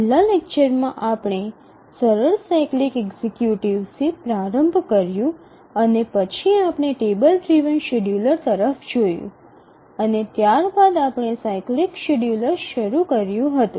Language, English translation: Gujarati, In the last lecture we started looking at the simple cyclic executives and then we looked at the table driven scheduler and then we had started looking at the cyclic scheduler